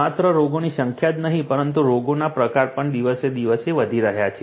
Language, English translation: Gujarati, Not only the number of diseases, but also the types of diseases are also increasing day by day